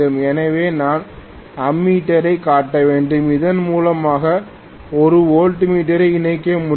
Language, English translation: Tamil, So I have to show ammeter and I can connect a voltmeter right across this